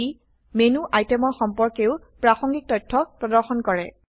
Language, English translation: Assamese, It also displays contextual information about menu items